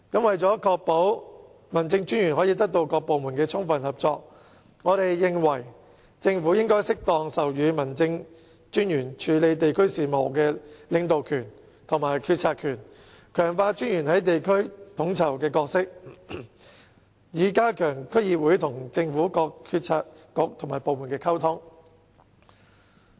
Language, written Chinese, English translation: Cantonese, 為確保民政專員可得到各部門的充分合作，我們認為政府應適當授予民政專員處理地區事務的領導權和決策權，強化專員的地區統籌角色，以加強區議會與政府各政策局和部門的溝通。, To ensure that District Officers can have the full cooperation of various departments we believe the Government should confer on District Officers leadership and decision - making powers where appropriate to deal with district affairs and strengthen the role of District Officers in coordination at the district level so as to strengthen the communication between DCs and various Policy Bureaux and departments of the Government